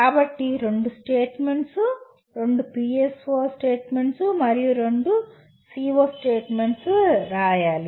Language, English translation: Telugu, So two statements, two PSO statements and two CO statements have to be written